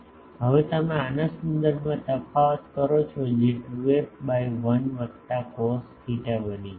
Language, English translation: Gujarati, Now, you differentiate with respect to these that becomes 2 f by 1 plus cos theta